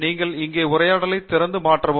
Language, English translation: Tamil, You open the dialog here and modify